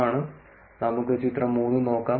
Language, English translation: Malayalam, Let us go look at figure 3